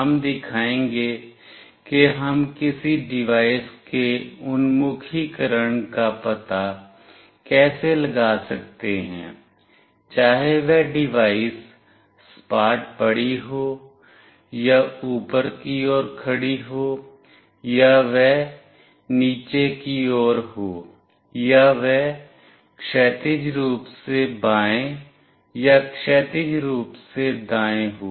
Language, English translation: Hindi, We will be showing how we can find out the orientation of a device, whether the device is lying flat or is vertically up or it is vertically down or it is horizontally left or it is horizontally right